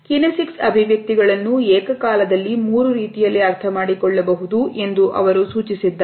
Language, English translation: Kannada, They have suggested that the kinesic expressions are acquired in three ways simultaneously